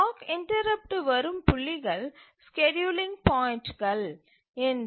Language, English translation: Tamil, So, these are these points at which the clock interrupts come, these are called as the scheduling points